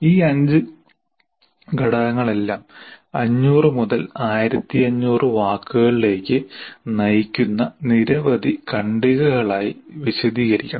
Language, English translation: Malayalam, So all these elements, these five elements should be elaborated into several paragraphs leading to 500 to 1,500 words